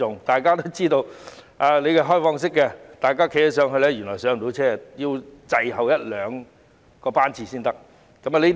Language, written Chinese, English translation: Cantonese, 大家也知道，市民站在開放式的月台原來也無法很快登車，要等候一兩個班次才可以登車。, Everyone knows that citizens cannot board the train soon when standing on an open platform . They have to wait for a couple of trains before they can board one